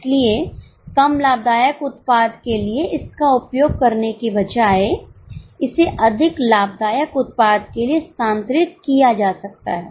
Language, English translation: Hindi, So, instead of using it for less profitable product, it can be transferred for more profitable product